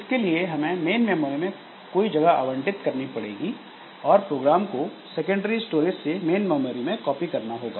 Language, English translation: Hindi, So, for that we have to allocate some space in the main memory and copy the program from the secondary storage to the main memory